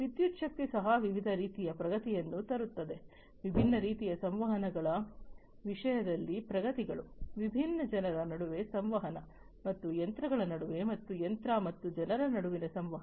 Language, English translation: Kannada, Electricity, likewise, also bring brought in lot of different types of advancements; advancements in terms of different types of communications, communication between different people communication, between different machines, and between machine and people